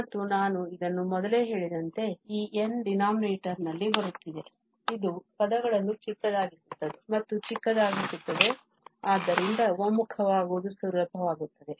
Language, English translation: Kannada, And this is as I mentioned before, now this n is coming in the denominator which makes the terms smaller and smaller and hence the convergence easier